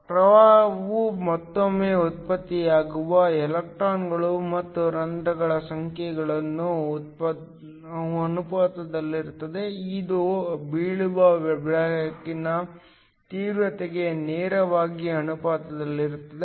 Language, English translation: Kannada, The current once again is proportional to the number of electrons and holes that are generated, which is directly proportional to the intensity of the light that is falling